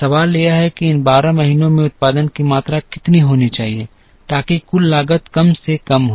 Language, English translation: Hindi, The question is what should be the production quantities in these 12 months such that the total cost is minimized